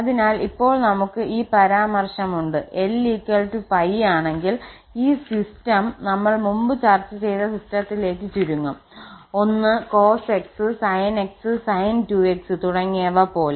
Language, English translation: Malayalam, So, what we have now this remark, so if l is equal to pi this system reduces to so if we put l is equal to pi, so it is simply that system which we have discussed before 1 cos x, sin x, sin 2x, etc